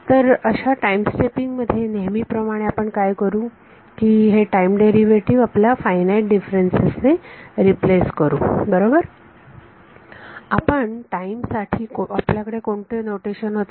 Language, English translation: Marathi, So, in time stepping as always what we will do is replace this time derivative by finite differences right, what was the notation that we had for time